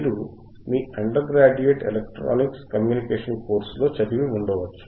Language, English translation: Telugu, You may have studied in electronic communication course in your undergrad